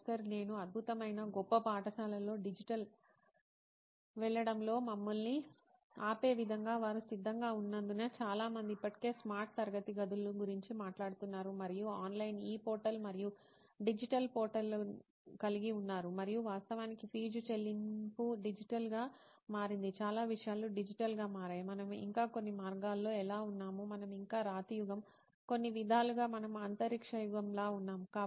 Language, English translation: Telugu, Excellent, great I have added that as in what is stopping us in going digital in the schools, because they are ready most of them are already been talking about smart classrooms and having online e portal and digital portals and all that in fact fee payment has become digital, so many things have become digital, how come still we are in some ways we are still stone age, in some ways we are space age